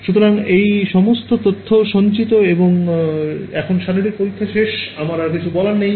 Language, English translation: Bengali, So, all of this information is stored and now the physical experiment is over, there is nothing more I have to do